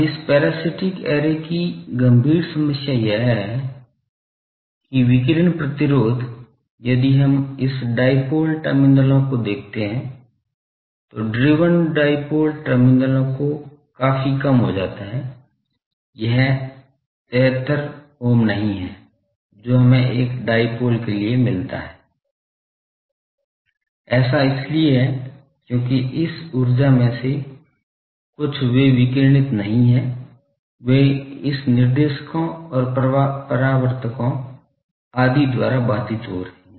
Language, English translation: Hindi, Now, the serious problem of a this parasitic array is, that the radiation resistance if we look at this dipoles terminals, the driven dipoles terminal that becomes quite less, it is not the 73 ohm that we get for a dipole; that is because some of this energies they are not radiated, they are getting obstructed by this directors and reflectors etc